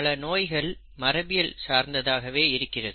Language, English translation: Tamil, Many diseases have a genetic basis